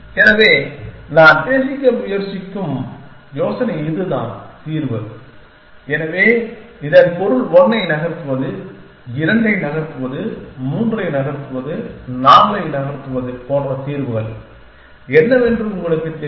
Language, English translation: Tamil, So, the idea that I am trying to talk about is this that this is the solution, so this means you know what the solution that move 1 is, move 2, move 3, move 4 and so on